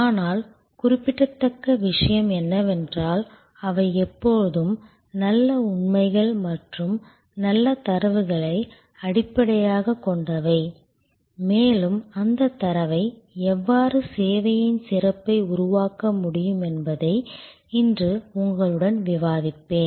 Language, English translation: Tamil, But, what is remarkable is that, they are always grounded in good facts and good data and I will discuss with you today that how that data can be interpreted to create service excellence